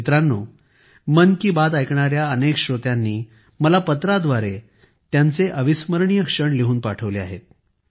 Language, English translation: Marathi, Friends, many people who listened to 'Mann Ki Baat' have written letters to me and shared their memorable moments